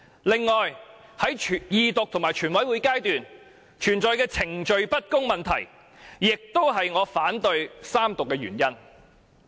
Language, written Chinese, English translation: Cantonese, 此外，在二讀和全體委員會階段，存在的程序不公問題亦是我反對三讀的原因。, In addition the unfairness involved in the Second Reading and Committee stage of the whole Council is the main reason why I oppose the Third Reading